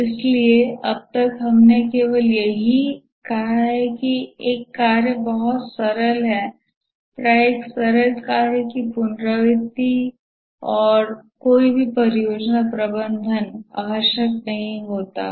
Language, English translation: Hindi, So far we have only said that a task is much simpler, often repetitive, and no project management is necessary for a simple task